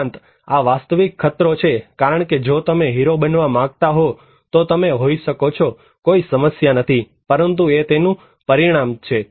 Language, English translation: Gujarati, Also, this is actual danger because if you want to be flamboyant, you can be, no problem but that is the consequence